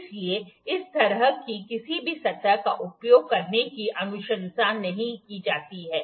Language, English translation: Hindi, So, it is not recommended to use any surface like that